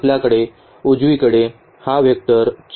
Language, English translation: Marathi, The right hand side we have this vector 4 and 1